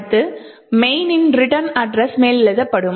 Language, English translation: Tamil, next the return address to main would also get overwritten